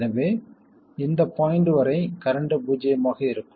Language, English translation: Tamil, So the current will be 0 up to this point